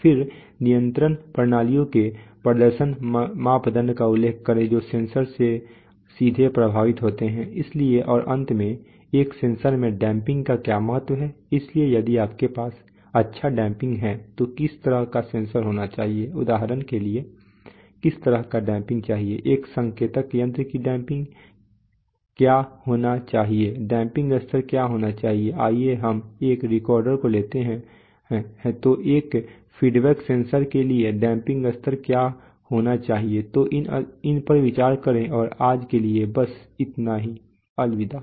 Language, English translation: Hindi, Then mention to performance parameters of control systems that are directly affected by sensors, so, and finally what is the significance of damping in a sensor, so if you have good damping what kind of sensor should have, what kind of damping for example what should be the damping of an indicating instrument and what should be then what should be the damping level let us say for a recorder or what should be the damping level for a, let us say a feedback sensor so think about these and that is all for today bye, bye